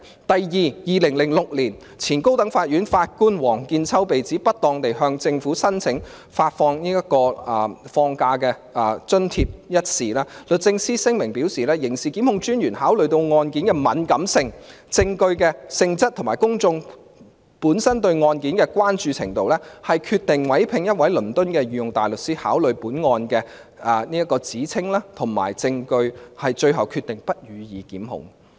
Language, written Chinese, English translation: Cantonese, 第二，在2006年，前高等法院法官王見秋被指不當地向政府申請發放假期津貼一事，律政司的聲明表示，刑事檢控專員考慮到案件的敏感性，證據的性質及公眾本身對案件的關注程度，決定委聘一位倫敦的御用大律師考慮該案的指稱及證據，最後決定不予檢控。, Second in 2006 former High Court Judge Mr Michael WONG was accused of alleged impropriety in connection with his applications to the Government for reimbursement of Leave Passage Allowance . DoJ said in a statement that in view of the sensitivity of the case the nature of the evidence and the level of public concern the Director of Public Prosecutions DPP decided to instruct a Queens Counsel in London to consider the allegations and the evidence and made the decision of not instituting prosecution in the end